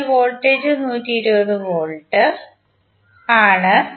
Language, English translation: Malayalam, So Voltage is 120 volt